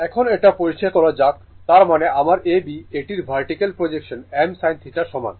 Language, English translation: Bengali, Now, let me clear it; that means, my A B that is the vertical projection of this is equal to I m sin theta